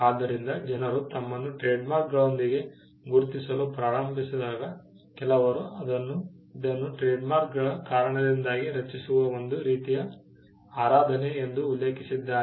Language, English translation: Kannada, So, when people start identifying themselves with trademarks, some people have referred to this as a kind of a cult that gets created because of the trademarks themselves